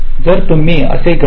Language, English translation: Marathi, ok, so you calculate like this